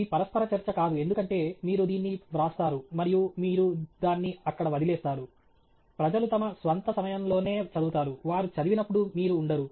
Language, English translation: Telugu, It’s not interactive because you write it and you leave it out there, people read it at their own time, you are not present when they read it